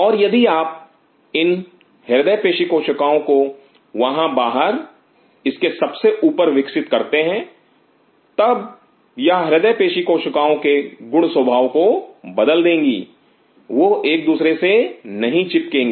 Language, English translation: Hindi, And if you grow these cardiac myocytes out here on top of this then it will change the properties of cardiac myocyte they will not adhered to each other